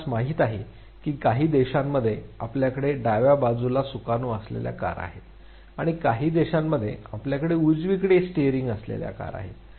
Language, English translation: Marathi, You know that in few countries you have cars with steering on the left side and in few countries you have cars with steering on the right side